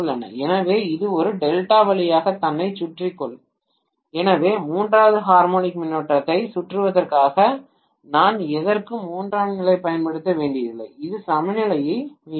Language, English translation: Tamil, So it would be able to simply circulate itself through a delta, so I don’t have to use tertiary for anything just for circulating the third harmonic current which will restore the balance, right